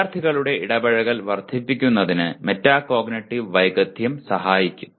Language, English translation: Malayalam, And the metacognitive skill will help in increasing the student engagement